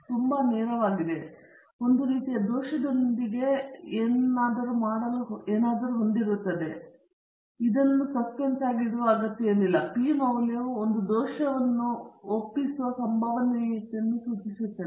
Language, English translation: Kannada, It is quite straight forward; it has something to do with the type one error and okay no need to keep it in suspense; p value refers to the probability of committing the type one error